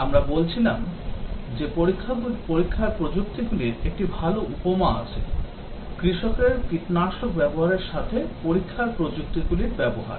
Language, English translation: Bengali, We were saying that there is a good analogy of testing technologies, use of testing technologies with use of pesticide by a farmer